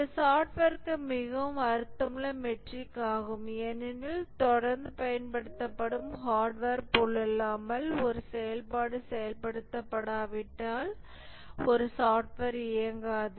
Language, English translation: Tamil, This is a more meaningful metric for software because unlike a hardware which is continuously used, a software doesn't run unless a function is invoked